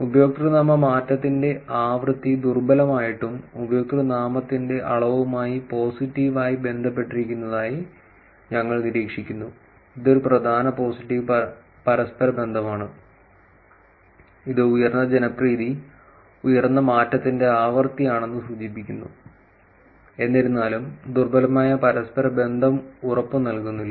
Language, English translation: Malayalam, We observe that username change frequency is weakly yet positively correlated with the in degree of username, which is a significant positive correlation imply that higher the popularity, higher is the frequency of change, however, weak correlation does not guarantee the same